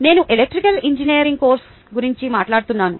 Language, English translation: Telugu, i am talking about a course in electrical engineering